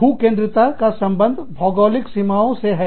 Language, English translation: Hindi, Geocentrism is related to, geographical boundaries